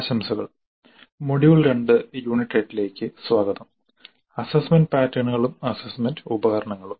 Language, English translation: Malayalam, Greetings, welcome to module 2, Unit 8 on assessment patterns and assessment instruments